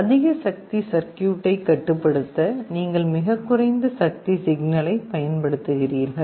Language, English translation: Tamil, You are using a very low power signal to control a higher power circuit